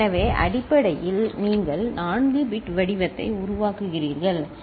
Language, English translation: Tamil, So, basically you are generating a 4 bit pattern, ok